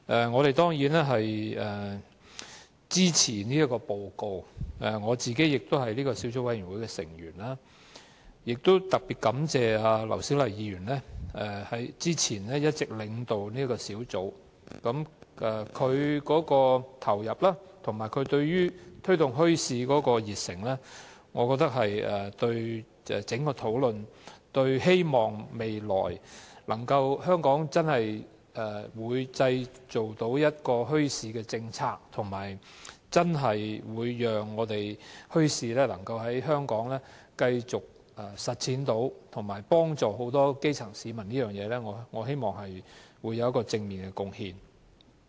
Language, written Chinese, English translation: Cantonese, 我們當然支持這份報告，我亦是這個小組委員會的成員，亦特別感謝前議員劉小麗之前一直領導這個小組委員會，我認為她的投入及對於推動墟市的熱誠，能帶動整個討論，促使香港日後制訂墟市政策，讓墟市能繼續在香港推行，並幫助很多基層市民，在這方面實在有正面的貢獻。, We certainly support this report and as a member of the Subcommittee I am also particularly grateful to former Member Dr LAU Siu - lai for leading the Subcommittee all along . I think her devotion and passion for promoting bazaar development can drive the whole discussion and facilitate the formulation of a bazaar policy in Hong Kong in the future so that bazaars can continue to be developed in Hong Kong to help many grass - roots people . She has made positive contributions in this regard